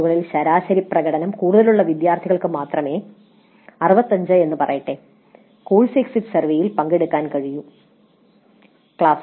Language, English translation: Malayalam, Only those students whose average performance in the test is more than, let us say 65% can participate in the course exit survey